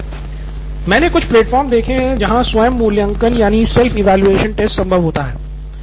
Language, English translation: Hindi, I have seen some platforms with self evaluation tests and all that